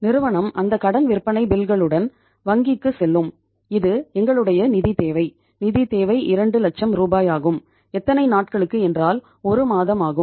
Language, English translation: Tamil, The firm will go with those credit sale bills to the bank that we have this much say we our bank will firm will work out that their financial requirement is how much, 2 lakh rupees right for a period of how many days, 1 month right